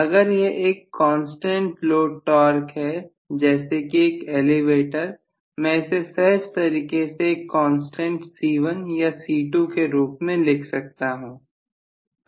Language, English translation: Hindi, If it is a constant torque load like an elevator I will write that as simply a constant C1 or C2